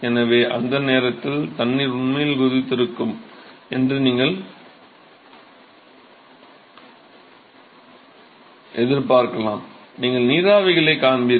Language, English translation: Tamil, So, you would expect that water would have actually boiled at that time, you will see vapors